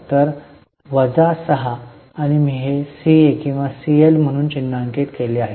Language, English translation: Marathi, So, you can see here 16 to 10, so minus 6 and this is I have marked it as CA or CL